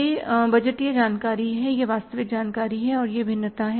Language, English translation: Hindi, This is a budgeted information, this is actual information and this is the variance